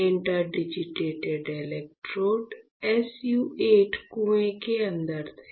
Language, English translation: Hindi, So, the interdigitated electrodes were inside the SU 8 well